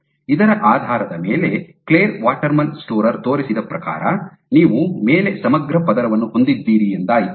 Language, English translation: Kannada, So, based on this based on this what Clare Waterman Storer showed was you have integrin layer on top of which you had